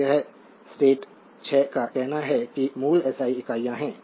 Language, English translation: Hindi, So, this is the stat 6 say your basic SI units